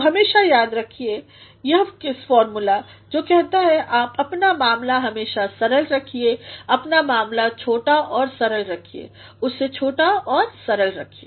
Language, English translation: Hindi, So, always remember this KISS formula, which says keep your matter always simple, keep your matter short and simple keep it simple and short